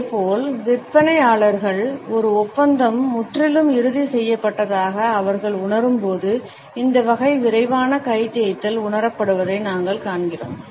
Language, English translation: Tamil, Similarly we find that in sales people this type of a quick hand rub is perceived when they feel that a deal is almost completely finalized